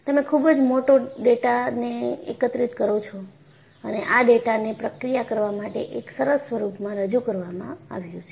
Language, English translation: Gujarati, So, you collect voluminous data and this data is presented, in a nice form, for you to process